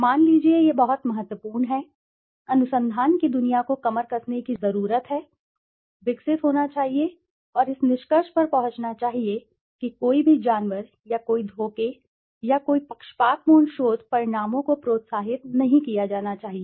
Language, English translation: Hindi, Suppose, this is very important, the world of research needs to gear up, should develop and come to a conclusion that no animalize, or no deception, or no biased research outcomes should be encouraged